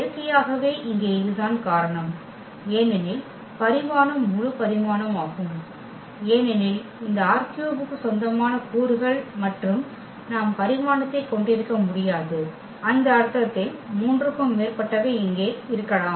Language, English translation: Tamil, And naturally, that is the case here because the dimension that is the full dimension because the elements belongs to this R 3 and we cannot have the dimension more than 3 in that sense also we can conclude here